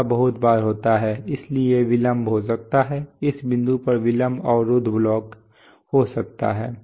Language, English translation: Hindi, So very often happens, so there could be a delay, there could be a similar delay block at this point